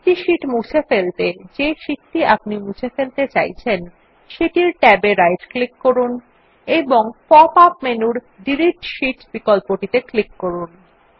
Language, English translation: Bengali, In order to delete single sheets, right click on the tab of the sheet you want to delete and then click on the Delete Sheet option in the pop up menu and then click on the Yes option